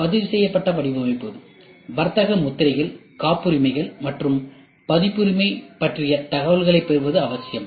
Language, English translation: Tamil, It is essential to obtain information about the registered design, trademarks, patents, and copyrights